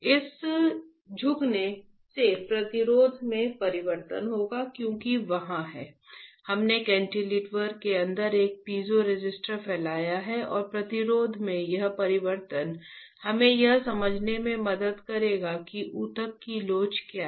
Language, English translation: Hindi, This bending will cause change in resistance because there is we have diffused a piezoresistor inside the cantilever and that change in resistance will help us to understand what is the elasticity of the tissue